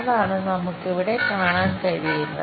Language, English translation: Malayalam, That, what we can see here